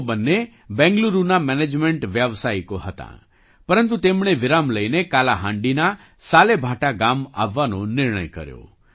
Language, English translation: Gujarati, Both of them were management professionals in Bengaluru, but they decided to take a break and come to Salebhata village of Kalahandi